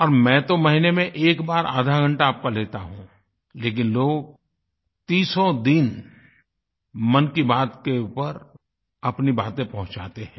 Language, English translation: Hindi, I just take half an hour of your time in a month but people keep sending suggestions, ideas and other material over Mann Ki Baat during all 30 days of the month